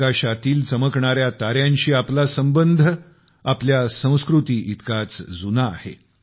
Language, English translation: Marathi, Our connection with the twinkling stars in the sky is as old as our civilisation